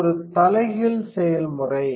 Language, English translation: Tamil, So, it is a reverse process